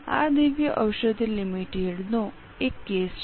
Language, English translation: Gujarati, This is a case of Divya Aoushadi Limited